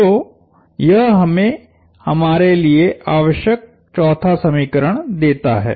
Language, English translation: Hindi, So, this gives us our well much needed 4th equation